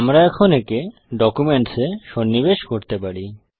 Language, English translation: Bengali, We can now insert this into documents